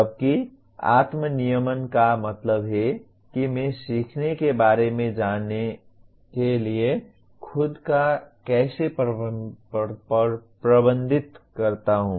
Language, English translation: Hindi, Whereas self regulation means how do I manage myself to go about learning